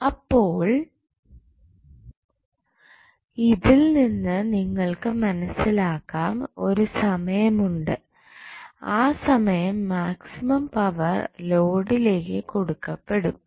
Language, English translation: Malayalam, So, from this you can understand that there is 1 instance at which the maximum power would be supplied to the load